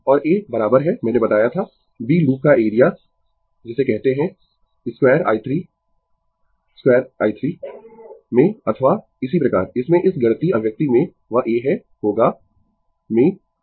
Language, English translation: Hindi, And A is equal to I told you the l b, the area of the loop in your what you call in square metre square metre or so, in this in this mathematical expression that a is will be in the metre square metre, metre square, right